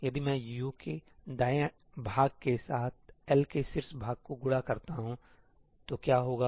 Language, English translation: Hindi, What happens if I multiply the top part of L with the right part of U